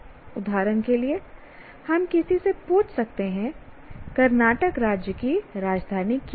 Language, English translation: Hindi, For example, we can ask somebody what is the capital city of Karnataka state